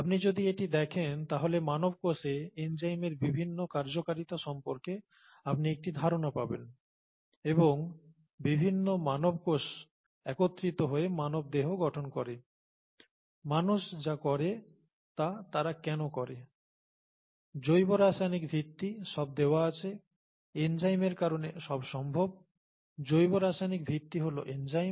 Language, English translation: Bengali, If you watch that you will get an idea as to the variety of functions that enzymes perform in the human cell and different human cells put together as the human body, and the, why humans do what they do, the biochemical basis is all given, is all made possible because of the enzymes, biochemical basis is the enzymes